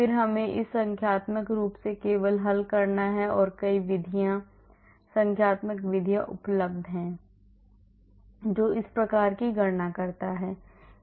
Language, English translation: Hindi, Then we have to solve this numerically only and there are many methods, numerical methods that are available which does this type of calculation